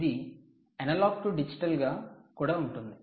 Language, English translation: Telugu, it can also be analog to digital